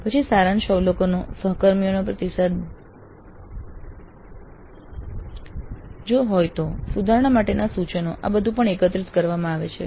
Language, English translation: Gujarati, Then summary observations, peer feedback if any, suggestions for improvement, all these are also collected